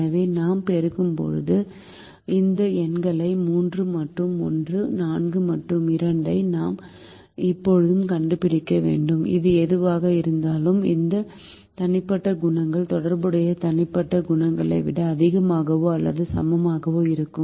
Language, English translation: Tamil, so when we multiply and we have to now suitably find out these numbers three and one, four and two, whatever it be such that these individual coefficients will be greater than or equal to the corresponding individual coefficients